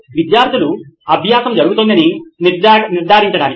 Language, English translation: Telugu, To ensure that the learning has happened